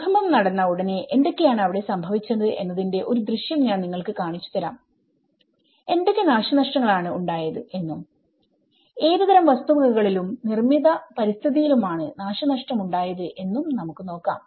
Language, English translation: Malayalam, I will just show you a glimpse of what all things have happened immediately after an earthquake and how what are the destructions and what kind of property has been damaged, what kind of built environment has been damaged